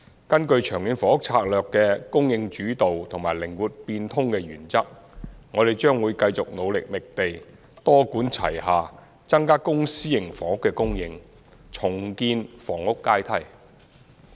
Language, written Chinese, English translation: Cantonese, 根據《長遠房屋策略》的"供應主導"和"靈活變通"的原則，我們將會繼續努力覓地，多管齊下增加公私營房屋的供應，重建房屋階梯。, In accordance with the supply - led and flexible principles of the Long Term Housing Strategy LTHS we will continue to work hard in identifying land adopt a multi - pronged approach in supplying more public and private housing and rebuild the housing ladder